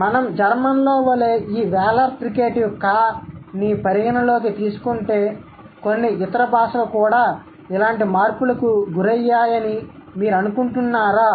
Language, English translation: Telugu, So, if we take into account this Wheeler Fricative, as in German, do you think some other languages have also gone through similar kind of changes